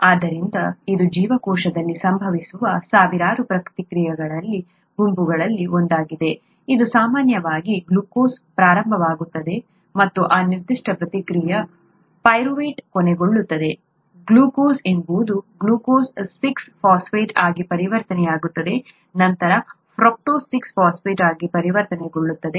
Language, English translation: Kannada, So this is one set of one of the thousands of sets of reactions that occur in the cell, its typically starts with glucose, and this particular set of reaction ends with pyruvate, glucose gets converted to glucose six phosphate, gets converted to fructose six phosphate and so on and so forth until it gets with pyruvate